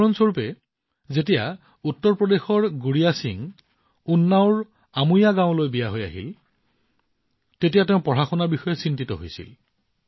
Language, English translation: Assamese, For example, when Gudiya Singh of UP came to her inlaws' house in Amoiya village of Unnao, she was worried about her studies